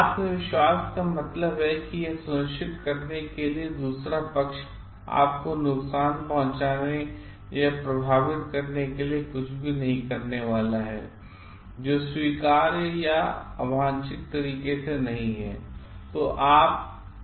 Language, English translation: Hindi, Confidence means being sure that the other party is not going to do anything to harm you or affect you in a way that is not acceptable or in an undesired manner